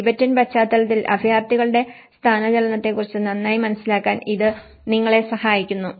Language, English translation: Malayalam, I hope this helps you a better understanding of the displacement of refugees in a Tibetan context